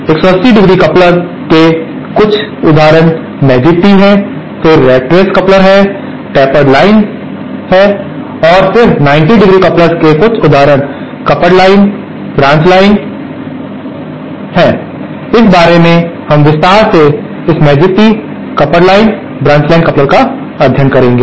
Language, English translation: Hindi, Some examples of 180¡ couplers are magic tee, then what we call rat race coupler, tapered line and then some examples of 90¡ couplers are coupled line, Blanch line, of this we will study in detail this magic Tee coupled line and branch line